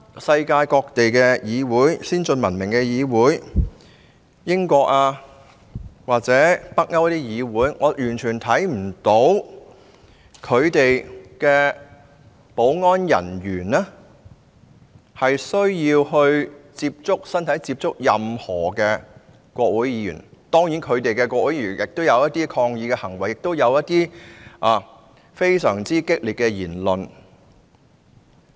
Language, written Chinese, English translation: Cantonese, 世界各地先進文明國家如英國或北歐的議會，我完全看不到其保安人員跟任何國會議員有肢體接觸，當地的國會議員當然亦有抗議行為，亦有非常激烈的言論。, I have never noticed any parliament in any advanced and civilized country in the world in which security officers have had physical contact with parliamentarians . Certainly parliamentarians in those countries would have engaged in acts of resistance and expressed vehement remarks too